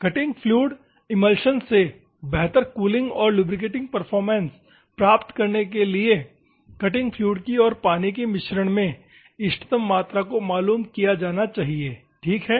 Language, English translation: Hindi, To obtain better cooling and lubricating performance from the cutting fluid emulsion, optimum quantity of cutting fluid and water mixing should be done at optimum quantities ok